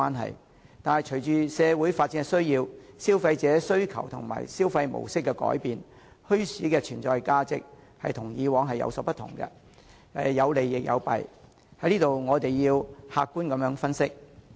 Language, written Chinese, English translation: Cantonese, 可是，隨着社會的發展需要，消費者的需求及消費模式的改變，墟市的存在價值已出現了變化，有利亦有弊，我們要客觀作出分析。, Nevertheless with the need for development in society and changes in the demands of consumers and their consumption modes the existence value of bazaars has changed . The development brings advantages and disadvantages which we must analyse objectively